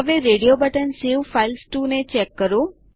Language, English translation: Gujarati, Now check the radio button that says Save files to